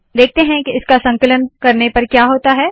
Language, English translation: Hindi, Lets see what happens when I compile it